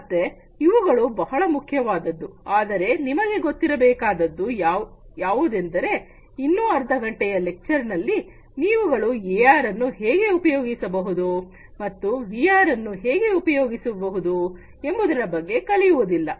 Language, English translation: Kannada, So, these are very important, but remember one thing that through this half an hour lecture, you are not going to learn about, how to use the AR and how to use VR